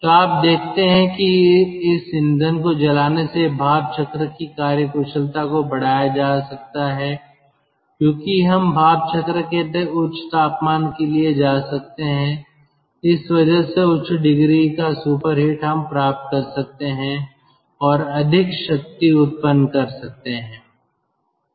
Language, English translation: Hindi, so you see, the steam cycle efficiency can be increased by burning this fuel because we can go for higher temperature of the steam cycle, higher degree of superheat for this applied steam we can go and more power we can generate